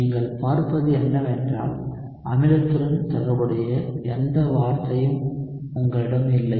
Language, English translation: Tamil, So, what you would see is you do not have any term corresponding to the acid